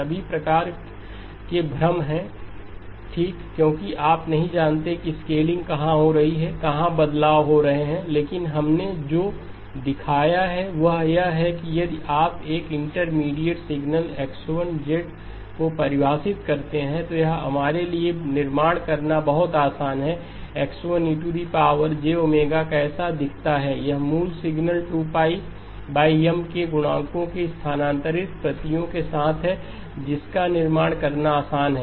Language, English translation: Hindi, There is all sorts of confusion okay because you do not know where the scaling is occurring, where the shifts are occurring but what we have shown is that if you define an intermediate signal X1 of z, then it is very easy for us to construct what X1 e of j omega looks like, X1 e of j omega is the original signal with shifted copies at multiples of 2pi over M, easy to construct